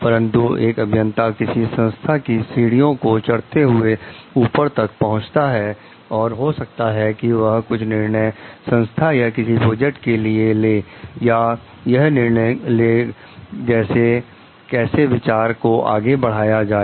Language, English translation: Hindi, But, as the engineer moves up the organizational ladder and maybe he has to take certain decisions about the like organization some decision about the project and like how to like move an idea forward